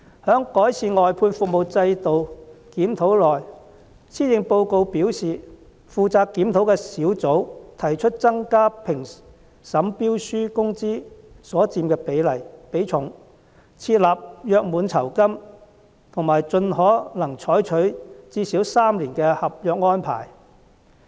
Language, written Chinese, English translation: Cantonese, 關於改善外判制度的檢討，施政報告表示，負責檢討的工作小組提出增加評審標書工資所佔的比重、設立約滿酬金和盡可能採用最少3年的合約安排。, In regard to the review on improving the outsourcing system according to the Policy Address the working group responsible for the review suggests increasing the weighting of wage level in tender evaluation providing a contractual gratuity and adopting service contracts with a minimum term of three years where situations permit